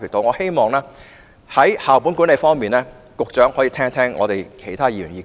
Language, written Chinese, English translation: Cantonese, 我希望在校本管理方面，局長可以聽聽其他議員的意見。, I hope that the Secretary can listen to the views of other Members in relation to school - based management